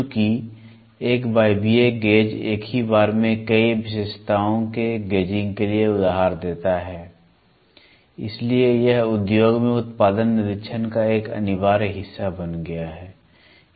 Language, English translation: Hindi, Since pneumatic gauge lends itself to the gauging of several features at once, it has become an indispensable part of production inspection in the industries this is what I was trying to tell